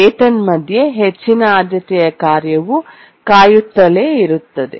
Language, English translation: Kannada, But in the meanwhile, the high priority task is waiting